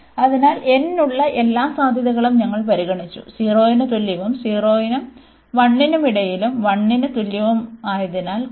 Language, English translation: Malayalam, So, we have considered all the possibilities for n, and less than equal to 0 and between 0 and 1 and greater than equal to 1